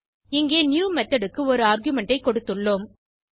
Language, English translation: Tamil, Here we have given an argument to the new method